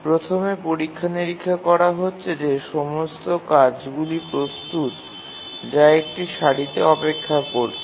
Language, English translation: Bengali, Let's first examine if all the tasks are ready tasks are waiting in a queue